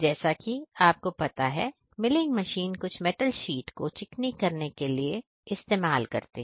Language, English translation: Hindi, Milling machine as you know are used for smoothing of some metal sheets